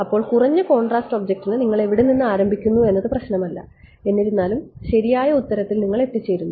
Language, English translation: Malayalam, So, for a low contrast object it does not matter where you start from and you arrive at the correct answer